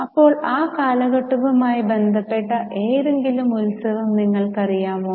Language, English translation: Malayalam, Now do you know or do you remember any festival which is associated with that period